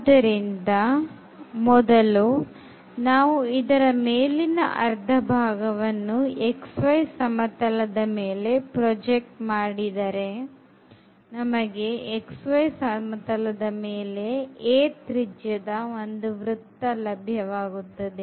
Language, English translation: Kannada, So, we will take for instance the upper half part of the sphere and if we project that upper half part of the sphere; this will give us the circle of radius a in the xy plane